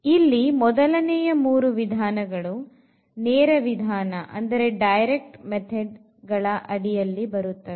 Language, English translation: Kannada, So, the first three methods falls into the category of the direct methods